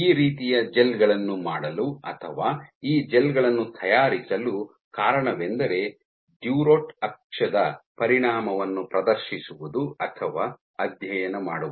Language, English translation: Kannada, And the reason for doing this kind of or making these gels is to demonstrate or to study the effect of durotaxis